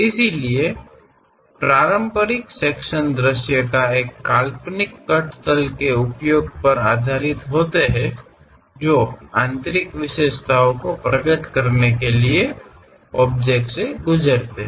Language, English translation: Hindi, So, traditional section views are based on the use of an imaginary cut plane that pass through the object to reveal interior features